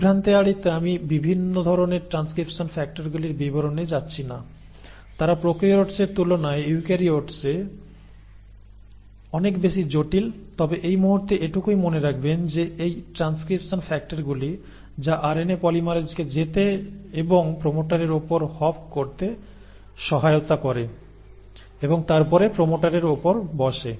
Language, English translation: Bengali, Now to avoid confusion I am not getting into details of different kinds of transcription factors, they are far more complex in eukaryotes than in prokaryotes, but just for the time being remember that it is these transcription factors which assist the RNA polymerase to go and hop on a to the promoter and then sit on the promoter